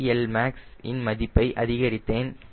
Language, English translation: Tamil, so i will change the cl max value